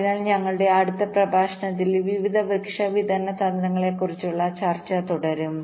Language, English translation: Malayalam, so we continue with our discussion on various tree distribution strategy in our next lecture